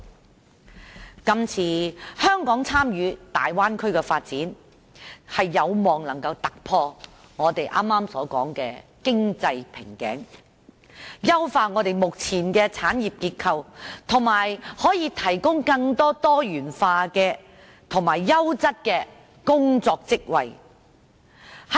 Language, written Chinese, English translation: Cantonese, 香港這次參與大灣區的發展，有望能夠突破我們剛才所說的經濟瓶頸，優化目前的產業結構，以及提供更多多元化及優質的工作職位。, Hong Kongs participation in the development of the Bay Area this time around hopefully can achieve breakthroughs in the economic bottlenecks we talked about just now enhance the existing industrial structure and provide more diversified job positions of a higher quality